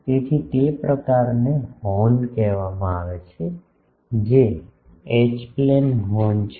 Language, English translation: Gujarati, So, the first of that type is called a Horn, which is a H plane Horn